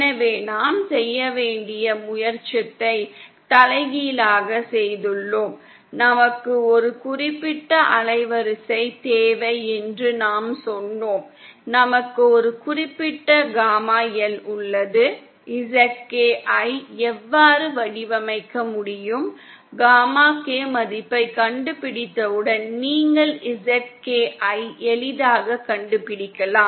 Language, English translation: Tamil, , so we have done the reverse that we were trying to do that we said that we have a certain band width requirement, we have a certain gamma L, how can we design the ZK, once we find out the gamma K value, you can easily find out the ZK